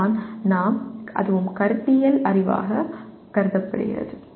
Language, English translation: Tamil, That is what we/ that also is considered conceptual knowledge